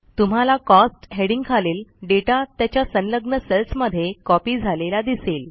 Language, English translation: Marathi, You see that the data under the heading Cost gets copied to the adjacent cells